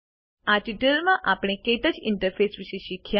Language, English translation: Gujarati, In this tutorial we learnt about the KTouch interface